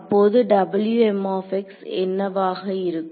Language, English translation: Tamil, So, what will this become